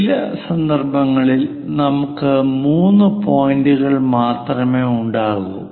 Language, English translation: Malayalam, In certain instances, we might be having only three points